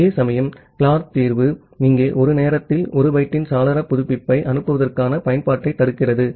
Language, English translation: Tamil, Whereas, the Clark solution, here it prevents the receiving application for sending window update of 1 byte at a time